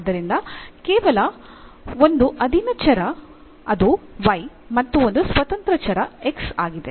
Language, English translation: Kannada, So, only one dependent variable that is y and one independent variable that is x